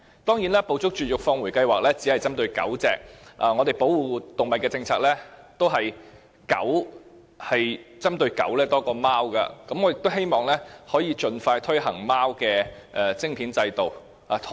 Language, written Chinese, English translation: Cantonese, 當然，"捕捉、絕育、放回"計劃只是針對狗隻，而我們保護動物的政策都是針對狗多於貓，所以我希望可以盡快推行貓的晶片制度。, Of course the Trap - Neuter - Return programme targets solely at dogs and our animal protection policy also focuses more on dogs than cats I therefore hope that the Government will expeditiously introduce the microchipping system to cats